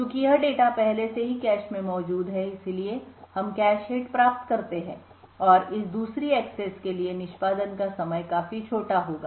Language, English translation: Hindi, Since this data is already present in the cache, therefore we obtain a cache hit and the execution time for this second access would be considerably smaller